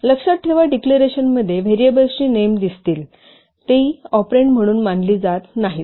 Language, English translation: Marathi, Note that the variable names appearing in the declarations they are not considered as operands